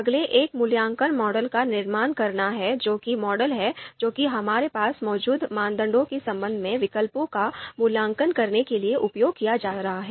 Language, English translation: Hindi, The next one is construct the evaluation model, so the model that is going to be used to evaluate the alternatives with respect to the I know criteria that we might have